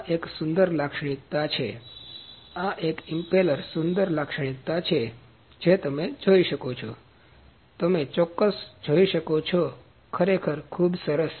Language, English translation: Gujarati, This is a beautiful feature; this impeller is a beautiful feature you can see the angle, you can see the accuracy, really very good